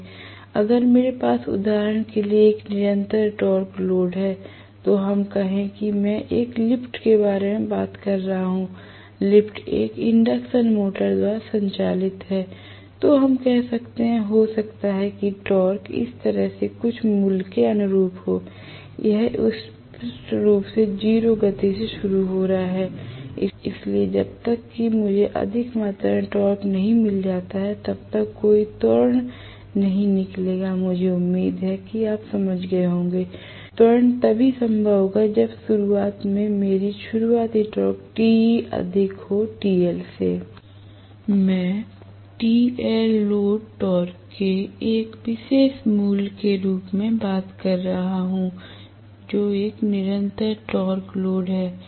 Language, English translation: Hindi, If, I have a constant torque load for example let us say I am talking about an elevator, elevator is driven by an induction motor let us say, so 8 of us have gotten, may be the torque corresponds to some value like this right, it is starting from 0 speed clearly, so unless I have some amount of torque in excess, there is no way acceleration will take place, I hope you understand, I will have acceleration possible only if my starting torque which is Te starting is greater than TL